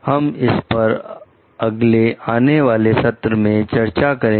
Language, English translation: Hindi, We will discuss this in the next upcoming session till, then